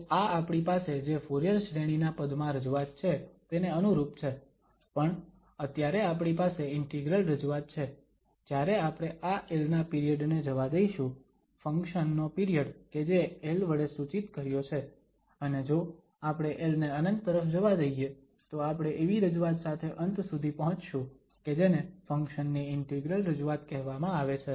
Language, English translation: Gujarati, So, it is analogous to what we have the representation in terms of the Fourier series but now, we have integral representation when we let this period of this l, the period of the function which was denoted by l and if we let that l to infinity, then we are ending up with such a representation which is called integral representation of the function